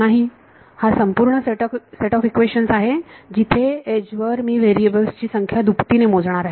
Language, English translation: Marathi, No, this is the full set of equations where the number of variables I am doing a double counting on the edge ok